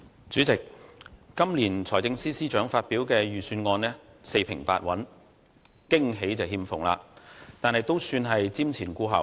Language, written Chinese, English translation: Cantonese, 主席，今年財政司司長發表的財政預算案四平八穩，驚喜欠奉，但亦算瞻前顧後。, President the Budget delivered by the Financial Secretary this year is overcautious and lacks any pleasant surprise; nevertheless it is forward - looking